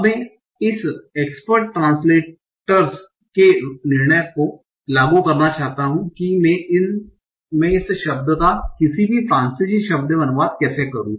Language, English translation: Hindi, So I want to model this expert translator's decision that how do I translate this word in to any French word